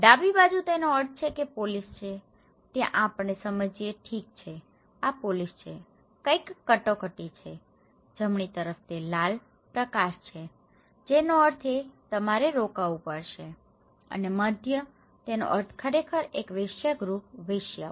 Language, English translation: Gujarati, In the left hand side, it means there is a police, there we understand that okay this is the police, something is an emergency, in the right hand side, it is the red light that means you have to stop and in the middle, it means actually a brothel; the prostitutions